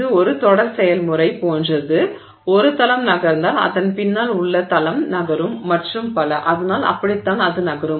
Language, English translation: Tamil, So, it is like a series process, one plane moves, there is a plane behind it moves and so on